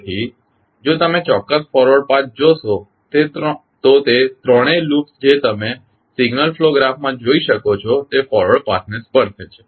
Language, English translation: Gujarati, So, if you see the particular forward path all three loops which you can see in the signal flow graph are touching the forward path